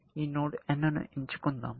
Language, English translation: Telugu, Let us have picked this node n